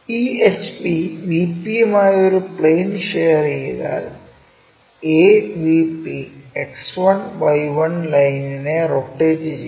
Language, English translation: Malayalam, Once this HP lies in plane with VP, the AVP is rotate about X1Y1 line